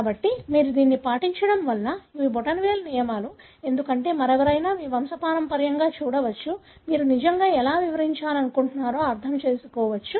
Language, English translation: Telugu, So, these are thumb rules because you follow it, because anyone else again can look into your pedigree, can understand what really you are trying to explain